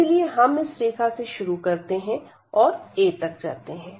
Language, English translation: Hindi, So, we starts from this line and it goes up to a